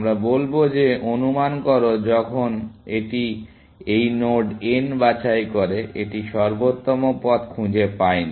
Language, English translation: Bengali, We will say that assume, that when it picks this node n, it has not found optimal path